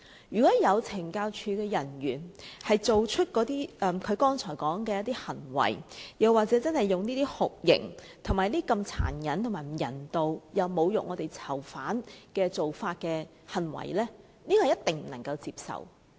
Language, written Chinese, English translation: Cantonese, 如果有懲教署人員作出他剛才說的行為，真的對在囚人士施以酷刑及殘忍、不人道的待遇、又或作出侮辱囚犯的行為，這一定不能接受。, It is utterly unacceptable if CSD officers have really committed the described acts to torture prisoners and inflict cruel inhuman treatment on them or to humiliate them